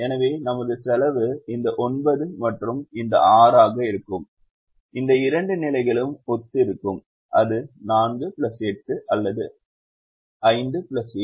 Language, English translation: Tamil, so our cost would be this nine and this six, corresponding to these two positions, and it is either four plus eight, or it is five plus seven